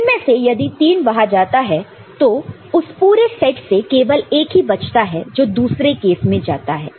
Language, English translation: Hindi, So, if three go here, the remaining one out of the whole set, is there in the other case